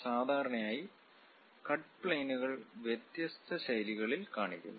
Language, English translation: Malayalam, Usually cut planes are represented in different styles